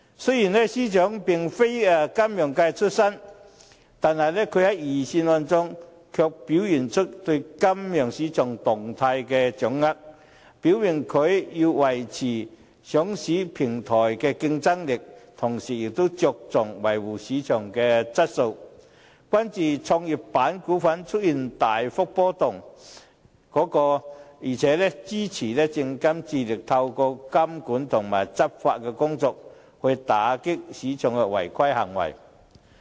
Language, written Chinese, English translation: Cantonese, 雖然司長並非出身金融界，他在預算案中卻表現出對金融市場動態的掌握，表明既要維持上市平台的競爭力，同時也着重維護市場的質素，關注創業板股份出現股價大幅波動，而且支持證券及期貨事務監察委員會致力透過監管和執法工作，打擊市場的違規行動。, Although the Financial Secretary does not come from the financial sector he has demonstrated in the Budget his good grasp of the development of the financial market . He indicates that while the Government has to keep our listing platform competitive it has also attached importance to maintaining market quality such as showing concern about high price volatility of Growth Enterprise Market stocks and giving support to the monitoring and law enforcement efforts of the Securities and Futures Commission in combating market wrongdoings